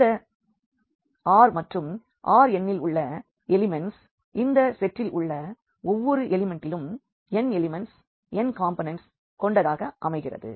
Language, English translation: Tamil, So, this R and the elements of R n will have these n elements the n components in each element of this of this set